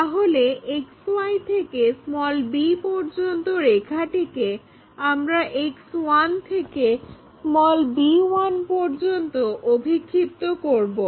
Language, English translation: Bengali, So, this length from XY axis to be that line we will project it from X 1 axis here to b 1